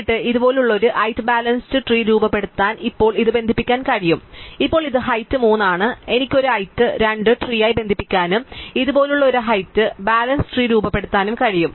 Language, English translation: Malayalam, And then, I could now connect this to form a height balance tree like this and now this which is a height 3 tree I can connect with a height 2 tree and form a height balance tree which looks like this